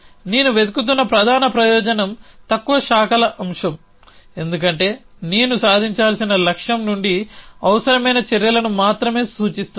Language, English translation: Telugu, The main advantage that I am looking for is lower branching factor, because I am only looking at actions which needed from a goal to be achieved